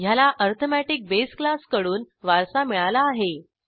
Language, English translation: Marathi, This also inherits base class arithmetic